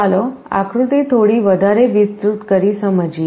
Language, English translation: Gujarati, Let us expand the diagram a little bit more